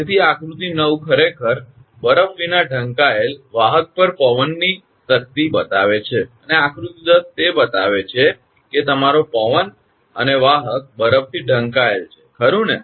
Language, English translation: Gujarati, So, figure 9 actually shows the force of wind on conductor covered without ice, and figure 10 it shows that your wind and conductor covered with ice right